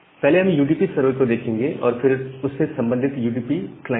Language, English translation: Hindi, So, we will first look into UDP server and a corresponding UDP client